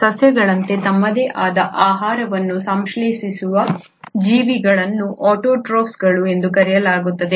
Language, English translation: Kannada, Organisms which can synthesise their own food like plants are called as autotrophs